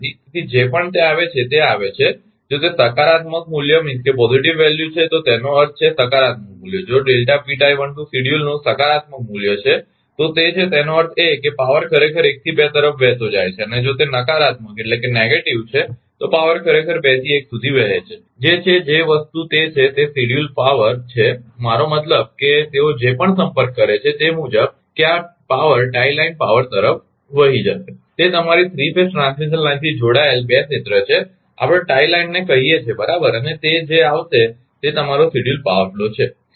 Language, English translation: Gujarati, So, whatever it comes if it if it is positive value means, if positive value if positive value of delta P tie 1 2 schedule this means that power actually flowing from 1 to 2 and if it is negative, then power actually flowing from 2 to 1 that is the thing that is the that is the that is the schedule power, I mean whatever they have contacted according to that that this power will flow to the tie line right, that is 2 area interconnected by your 3 phase ah transmission line, we call tie line right and whatever it will come that is your schedule power flow